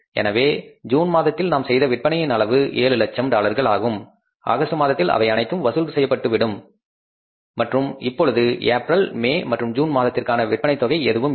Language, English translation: Tamil, So, total sales which we made in the month of June that is worth of the $700,000 they are collected by the August and now nothing is due for the April sales, for the May sales for the June sales